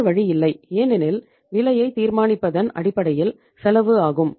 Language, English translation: Tamil, No option because the basis of deciding the price is the cost